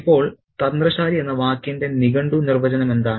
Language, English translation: Malayalam, Now, what is the dictionary definition of the word cunning